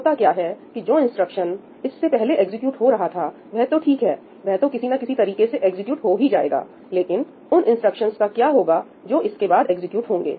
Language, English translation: Hindi, what happens is that the instructions that are executing before it, they are fine , they have to be executed anyways, but what about all the instructions which are being executed after it